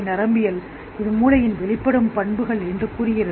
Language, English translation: Tamil, Neuroscience says it's an emergent property of the brain